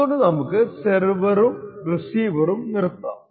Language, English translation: Malayalam, So, let us stop the receiver and the server